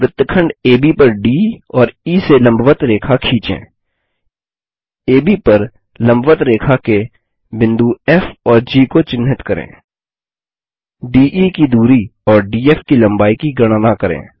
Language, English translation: Hindi, Draw perpendicular lines to segment AB from D and E Mark the points F and G of the perpendicular lines on AB Measure distance DE and height DF The output of the assignment should look like this